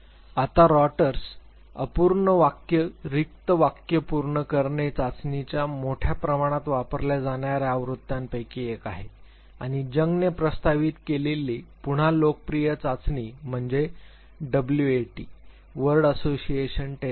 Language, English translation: Marathi, Now, Rotters incomplete sentence blank is one of the widely used versions of sentence completion test and one of the again popular test proposed by Jung was WAT word association test